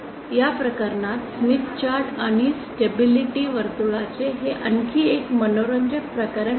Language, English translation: Marathi, In this case, this is another interesting case of the position of the smith chart and stability circle